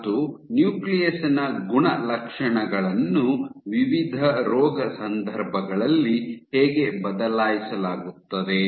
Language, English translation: Kannada, And how properties of the nucleus are altered in various disease contexts